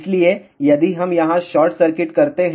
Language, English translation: Hindi, So, if we do short circuit over here